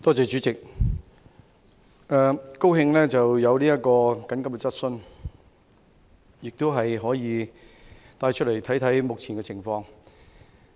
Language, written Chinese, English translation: Cantonese, 主席，對於這項急切質詢，我感到高興，這項質詢可以讓我們看看目前的情況。, President I am glad to have this urgent question for this question allows us to look at the present situation